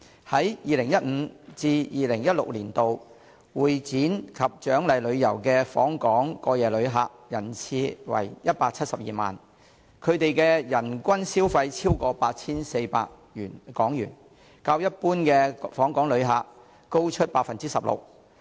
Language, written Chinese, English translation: Cantonese, 在 2015-2016 年度，會展及獎勵旅遊的訪港過夜旅客人次為172萬，他們的人均消費超過 8,400 港元，較一般訪港旅客高出百分之十六。, In 2015 - 2016 overnight CE and incentives arrivals in Hong Kong reached 1.72 million and their per - capita spending exceeded HK8,400 which is 16 % higher than that of inbound visitors in Hong Kong in general